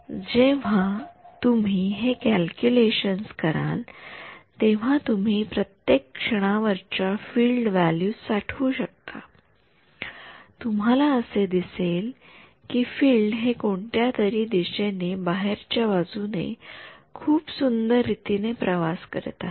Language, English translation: Marathi, So, actually when you do these calculations you can store the field values at every time snap you can see very beautifully field is travelling outwards in whatever direction